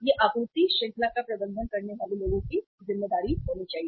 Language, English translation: Hindi, It should be the responsibility of the people managing the supply chain